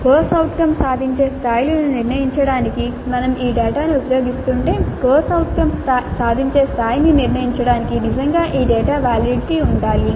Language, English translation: Telugu, If we are using this data to determine the COO attainment levels, really this data must be valid for determining the CO attainment level